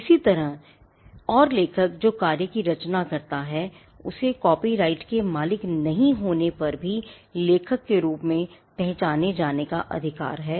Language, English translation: Hindi, Similarly, and author who creates the work has a right to be recognised as the author even if he is not the copyright owner